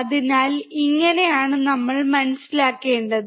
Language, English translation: Malayalam, So, this is how we have to understand